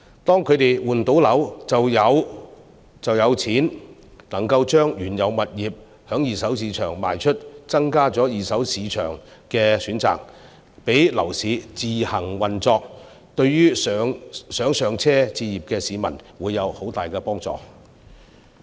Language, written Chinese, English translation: Cantonese, 當他們換樓後就能夠把原有物業在二手市場出售，增加二手市場的選擇，讓樓市自行運作，對想"上車"置業的市民會有很大幫助。, After they have moved into their new homes they will be able to sell the original properties in the secondary market thus offering more choices in the secondary market . If we let the property market regulate itself it will be of great help to those who would like to buy their first homes